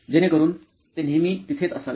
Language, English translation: Marathi, …so that it always be there